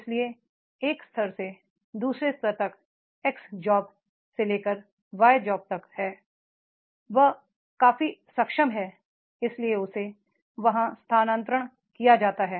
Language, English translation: Hindi, So, from the level one to level two or from the X job to the Y job, he is competent enough, that is why he has been transferred there